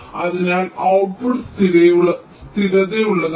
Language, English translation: Malayalam, so the output is steady, zero